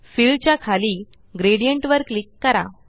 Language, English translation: Marathi, Under Fill, click Gradient